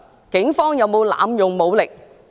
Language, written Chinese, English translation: Cantonese, 警方有沒有濫用武力？, Have the Police used excessive force?